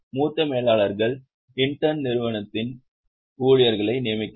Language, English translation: Tamil, Senior managers intern appoint employees of the company